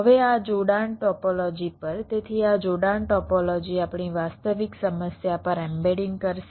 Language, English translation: Gujarati, so this connection topology will be doing embedding on our actual problem